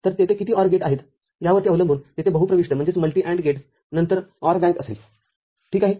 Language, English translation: Marathi, So, there will be OR bank followed by a multi input AND gate depending upon how many OR gates are there ok